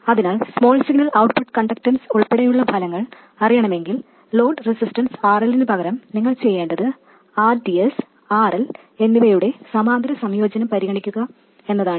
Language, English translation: Malayalam, So if you want to know the results including the small signal output conductance all you have to do is to consider the parallel combination of RDS and RL instead of the load resistance RL alone